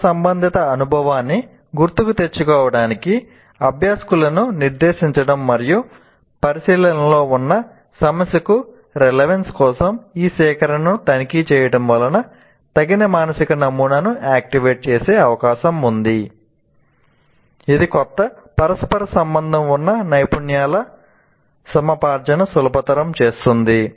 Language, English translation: Telugu, Directing learners to recall past relevant experience and checking this recollection for relevance to the problem under consideration are more likely to activate appropriate mental model that facilitates the acquisition of new set of interrelated skills